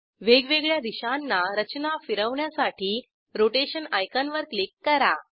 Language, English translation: Marathi, Click on the Rotation icon to rotate the structure in various directions